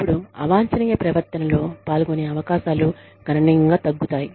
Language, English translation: Telugu, Then, their chances of engaging in undesirable behavior, are reduced, significantly